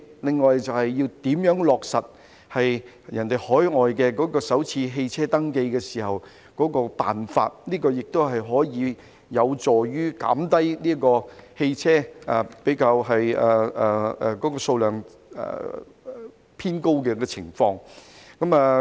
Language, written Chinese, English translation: Cantonese, 此外，就是落實海外採用的首次汽車登記的辦法，這個也有助紓緩汽車數量偏高的情況。, In addition the ways to implement the first car registration practice adopted overseas will also help alleviate the issue with high number of vehicles